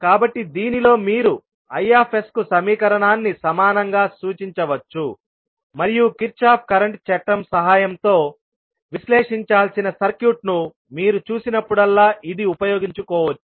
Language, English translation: Telugu, So, in this you can represent equivalently the equation for Is and this you can utilize whenever you see the circuit to be analyzed with the help of Kirchhoff’s current law